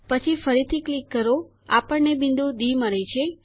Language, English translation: Gujarati, Then click again we get point D